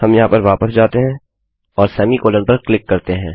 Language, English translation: Hindi, We go back here and click on semicolon